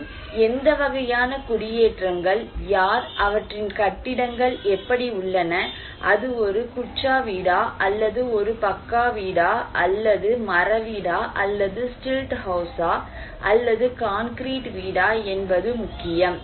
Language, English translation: Tamil, Also, it matters that what kind of settlements, who are, how their buildings are there, it is a kutcha house, pucca house, wooden house, stilt house, concrete house